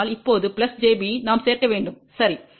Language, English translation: Tamil, So, now, plus j b we have to add, ok